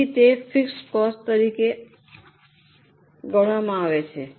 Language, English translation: Gujarati, Hence that comes as a fixed cost